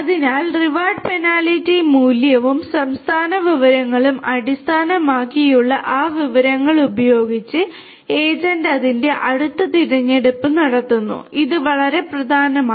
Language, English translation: Malayalam, So, with that information based on the reward penalty value and the state information the agent makes its next choice and this is very important